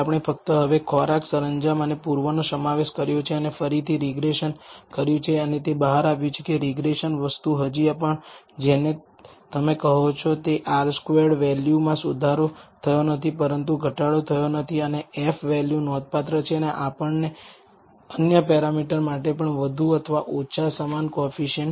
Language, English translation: Gujarati, We have only included now food, decor and east and done the regression again and it turns out that regression thing is still what you call the R squared value is improved not improved significantly, but not reduced and F value is significant and we get the more or less the same coefficients for the other parameters also the intercept and the slope parameters